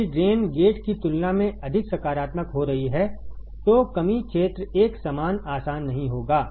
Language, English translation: Hindi, If drain is becoming more positive than gate, then depletion region will not be uniform easy very easy right